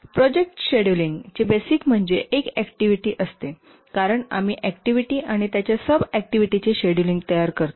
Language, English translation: Marathi, The basic to project scheduling is an activity because we schedule an activity and its sub activities